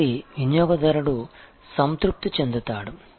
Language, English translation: Telugu, So, that the customer satisfaction happens